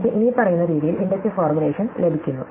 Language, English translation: Malayalam, So, therefore, I get the inductive formulation as follows